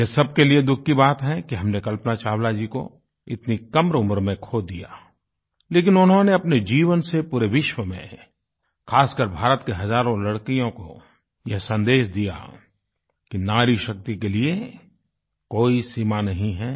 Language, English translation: Hindi, It's a matter of sorrow for all of us that we lost Kalpana Chawla at that early age, but her life, her work is a message to young women across the world, especially to those in India, that there are no upper limits for Nari Shakti …